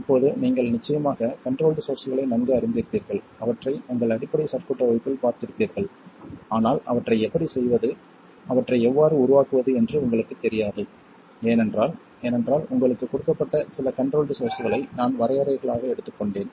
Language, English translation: Tamil, Now you would of course be familiar with those that is control sources and you would have seen them in your basic circuits class but you don't know how to make them, how to construct them because they are just taken as definitions that is some control sources given to you and they follow a certain rule